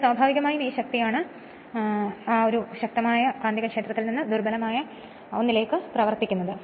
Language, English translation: Malayalam, So, naturally your what you call this is the force is acting your what you call this from stronger magnetic field to the weaker one